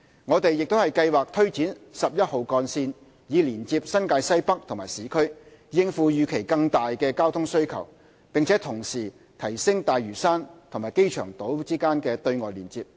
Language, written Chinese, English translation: Cantonese, 我們亦計劃推展十一號幹線以連接新界西北和市區，應付預期更大的交通需求，並同時提升大嶼山和機場島的"對外連接"。, We also plan to take forward the Route 11 project for linking up NWNT with the urban areas in order to meet the expected higher traffic demand and at the same time to improve the external connectivity of Lantau and the airport island